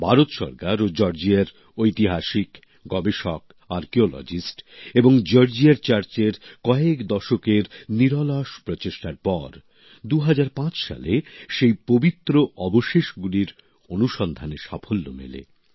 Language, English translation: Bengali, After decades of tireless efforts by the Indian government and Georgia's historians, researchers, archaeologists and the Georgian Church, the relics were successfully discovered in 2005